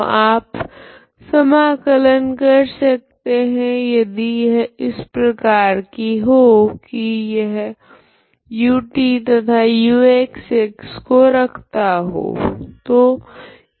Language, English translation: Hindi, So you cannot integrate so if it is like this it involves a first order term ut and uxx